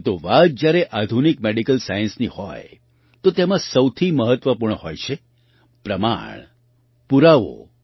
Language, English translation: Gujarati, But when it comes to modern Medical Science, the most important thing is Evidence